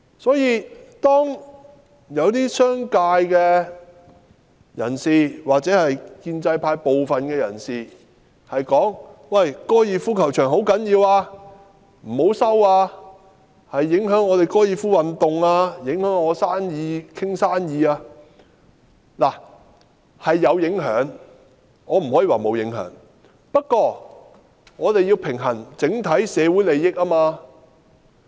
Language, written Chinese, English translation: Cantonese, 所以，當一些商界人士或建制派部分人士說高爾夫球場很重要，不要收回，因為會影響高爾夫球運動、影響他們商談生意等，我認為的確是有影響，我不能說沒有影響；不過，我們要平衡整體社會的利益。, Some members of the business sector or the pro - establishment camp say that the golf course is very important and that it must not be resumed for this would affect the golf sport and also affect them in making business deals and so on . While I think that they will indeed be affected and I cannot say that there will be no impact at all we have to balance the interests of society as a whole